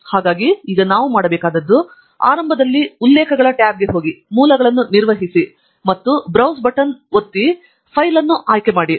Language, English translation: Kannada, So what we now need to do is, initially we go to the References tab, Manage Sources, and use the Browse button to pick up the file